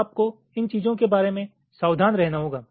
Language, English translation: Hindi, so you have to be careful about these things